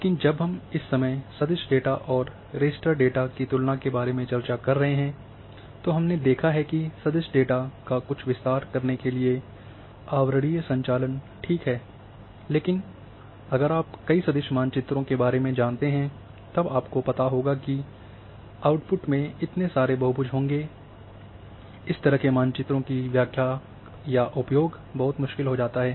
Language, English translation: Hindi, But, when we are discussing about the comparison of vector data and raster data at that time we have seen that overlaying over using the vector data to some extend is alright, but if you know many maps vector maps and then overlay then the output will have so many polygons that then interpretation or usage of such maps become very difficult